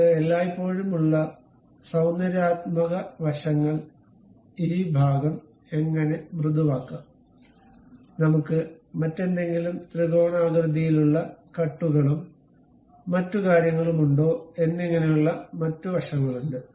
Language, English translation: Malayalam, There are other aspects like aesthetic aspects we always have, how to really smoothen this portion, whether we can have some other kind of triangular cut and other things